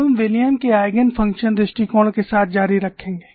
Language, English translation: Hindi, Now, we will continue with William's Eigen function approach